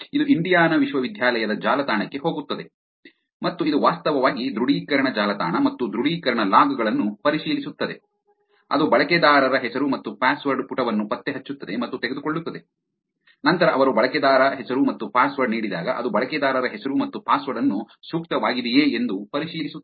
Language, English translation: Kannada, It goes to the Indiana University’s website and it actually checks authentication web and the authentication logs, it tracks and takes into a user name and a password page, then when they give user name and password it checks the user name and the password whether that is appropriate which is checked